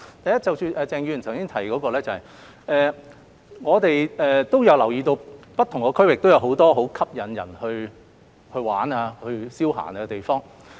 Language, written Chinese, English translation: Cantonese, 第一，就鄭議員的提問，我們也留意到不同區域也有很多吸引人前往遊玩消閒的地方。, First regarding Mr CHENGs question we also notice that there are many attractive places in different districts for leisure visit